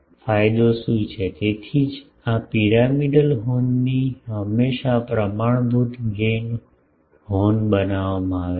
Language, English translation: Gujarati, So, that is why standard gain horns are made always from these pyramidal horns